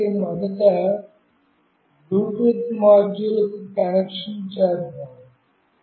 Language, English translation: Telugu, So, let me first connect to the Bluetooth module